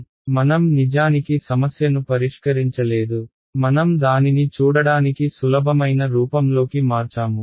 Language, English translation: Telugu, So, I have not actually solved the problem, I have just converted it into a form that is easier to look at